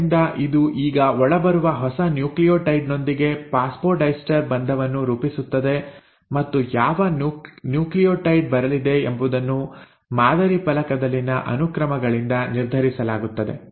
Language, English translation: Kannada, So this will now form of phosphodiester bond with a new nucleotide which is coming in and what will decide which nucleotide will come in; that is decided by the sequences on the template